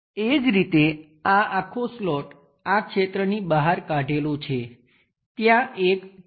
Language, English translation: Gujarati, Similarly, we have this entire slot scooped out region, there is an arc